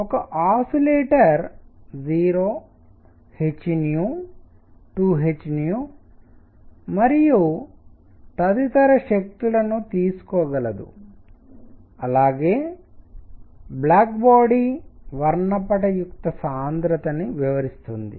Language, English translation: Telugu, That is an oscillator can take energies 0 h nu 2 h nu and so on explains the black body spectral density